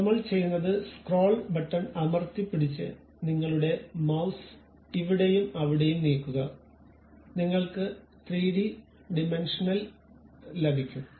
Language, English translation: Malayalam, So, what I am doing is click that scroll button hold it and move your mouse here and there, you will get the 3 dimensional appeal